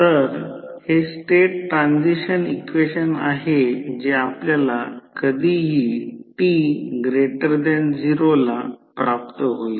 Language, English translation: Marathi, So, this is the state transition equation which you will get for any time t greater than 0